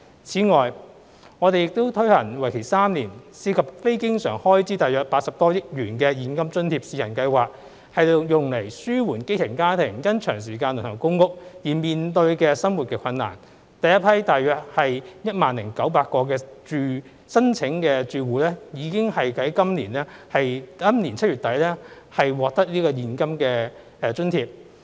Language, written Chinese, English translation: Cantonese, 此外，我們已推出為期3年、涉及非經常開支約80多億元的現金津貼試行計劃，以紓緩基層家庭因長時間輪候公屋而面對的生活困難，第一批約 10,900 個申請住戶已於今年7月底獲發現金津貼。, Moreover in order to alleviate the difficulties on livelihood faced by grass - roots families who have been waiting for PRH for a prolonged period of time we have launched a three - year Cash Allowance Trial Scheme which involves non - recurrent expenditure of some 8 billion . The first round of cash allowance was disbursed to about 10 900 eligible applicant households in end July this year